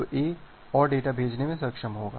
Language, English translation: Hindi, So, A will be able to send more data